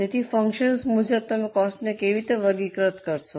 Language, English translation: Gujarati, So, as for the functions, how do you classify the cost